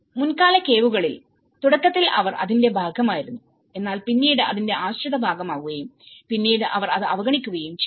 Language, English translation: Malayalam, In the earlier caves, initially they were part of it but then there has become a dependent part of it and then they ignored it